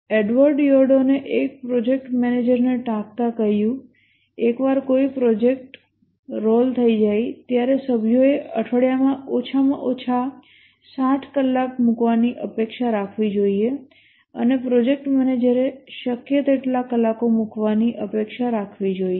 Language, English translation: Gujarati, Edward Eardin quotes a project manager saying once a project gets rolling should be expecting members to be putting in at least 60 hours a week and also the project manager must expect to put in as many hours as possible